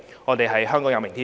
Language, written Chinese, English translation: Cantonese, 我們相信香港有明天。, We believe Hong Kong has a future